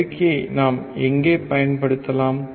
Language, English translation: Tamil, Where can we use the amplifier